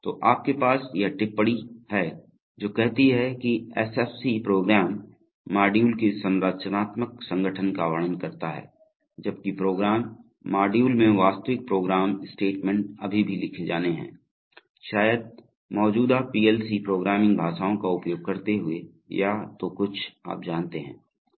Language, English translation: Hindi, So you have this remark which says that the SFC merely describes the structural organization of the program modules, while the program, the actual program statements in the modules still have to be written, probably using existing PLC programming languages, something like you know are either RLL or instruction list or whatever